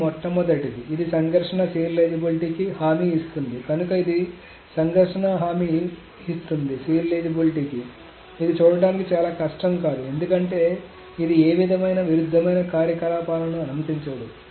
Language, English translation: Telugu, So this is this guarantees conflict serializability That is not probably very hard to see because it doesn't allow any conflicting operations to go through